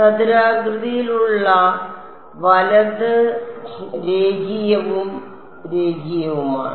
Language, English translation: Malayalam, Quadratic right N 1 is linear and N 1 and N 2 are linear